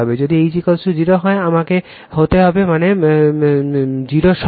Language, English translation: Bengali, If H is equal to 0, I has to be I mean your 0 all right